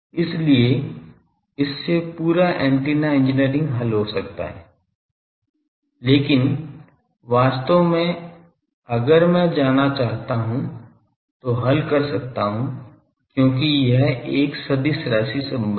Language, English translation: Hindi, So, that would have made the whole antenna engineering is can be solved by this, but actually if I want to go and solve me because this is a vector relation